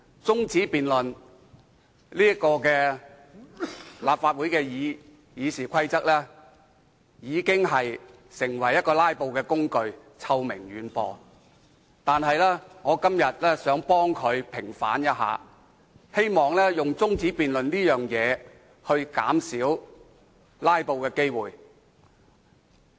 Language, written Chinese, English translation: Cantonese, 主席，立法會《議事規則》所容許的中止辯論已淪為"拉布"的工具，臭名遠播，但我今天想替其平反，希望藉着動議中止辯論來減少"拉布"。, President the adjournment motion permits under the Rules of Procedure has degenerated into an infamous instrument of filibustering . Nonetheless I wish to speak in vindication of it . I also hope that I can reduce the frequent occurrence of filibustering by moving an adjournment debate